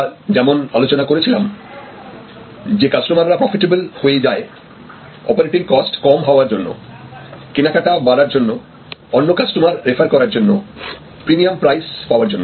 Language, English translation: Bengali, Customers become profitable as we discussed due to reduced operating cost, increase purchases, referrals to other customers, price premiums and so on